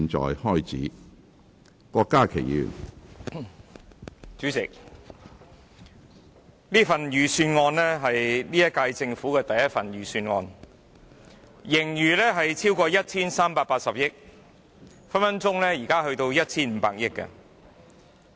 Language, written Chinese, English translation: Cantonese, 主席，這份財政預算案是現屆政府的第一份預算案，盈餘超過 1,380 億元，現在隨時達到 1,500 億元。, Chairman this Budget is the first budget of the present Government and there is a surplus of over 138 billion . But well the surplus may now even reach 150 billion